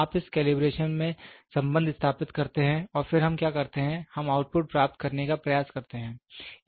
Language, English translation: Hindi, You establish the relationship in this calibration and then what we do is, we try to get the output